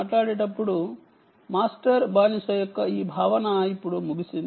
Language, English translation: Telugu, this concept of master slave is now out